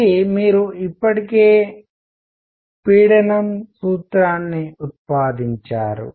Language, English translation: Telugu, This, you already derived the formula for pressure